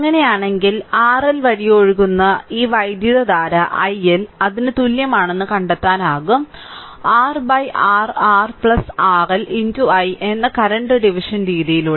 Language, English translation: Malayalam, If the then that your then this current flowing through R L, you can find out that i L is equal to that is the current division method that is R divided by your R plus R L into this i